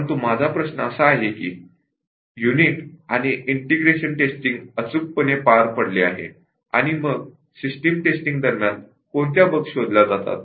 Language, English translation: Marathi, But my question is that unit and integration testing have been perfectly carried out, and then what bug will be detected during system testing